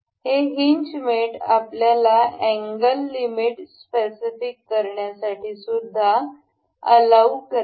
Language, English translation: Marathi, This hinge mate also allows us to specify angle limits